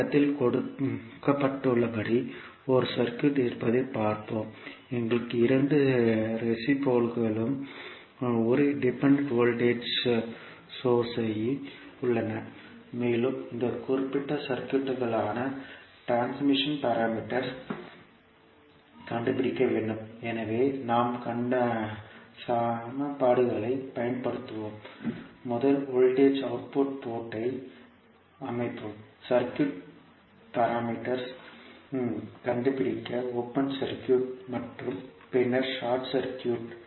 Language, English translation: Tamil, Let us see there is one circuit as given in the figure, we have two resistances and one dependent voltage source and we need to find out the transmission parameters for this particular circuit so we will use the equations and we will set first voltage the output port as open circuit and then short circuit to find out the circuit parameters